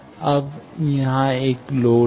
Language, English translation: Hindi, Now, there is a load